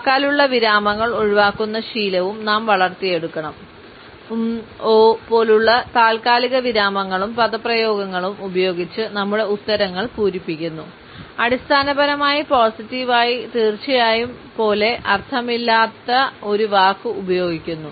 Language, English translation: Malayalam, We should also develop the habit of avoiding verbal pauses; filling our answers with pauses and expressions like ‘um’, ‘uh’s using a meaningless word repeatedly basically, positively, surely